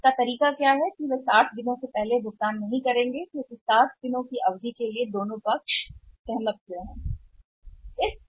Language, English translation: Hindi, So, what is a way out they would not make the payment before 60 days because it is agreed by both the sides the credit period 60 days